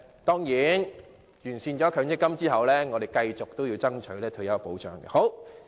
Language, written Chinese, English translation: Cantonese, 當然，完善了強積金後，我們仍會繼續爭取退休保障。, Certainly after the improvement of the MPF we still have to continuously fight for retirement protection